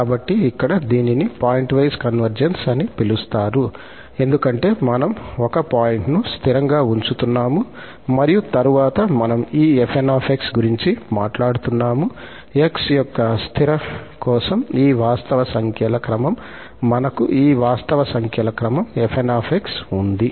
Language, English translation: Telugu, So, here it is pointwise convergence, it is called pointwise convergence because we are fixing the point and then we are talking about this fn, the sequence of these real numbers for fixed of x, we have these sequence of real numbers fn